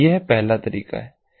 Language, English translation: Hindi, this is the first approach